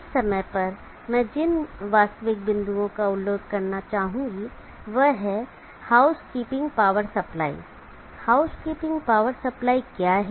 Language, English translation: Hindi, One of the practical points that I would like to mention at this point is housekeeping power supply